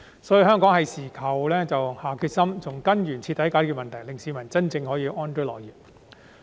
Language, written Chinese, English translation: Cantonese, 因此，這是我們該下決心的時候，從根源徹底解決問題，令市民真正可以安居樂業。, So it is time for us to make up our mind to thoroughly solve the problem at root so that members of the public can truly live and work in peace and contentment